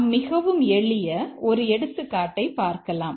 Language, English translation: Tamil, Let's take a very simple example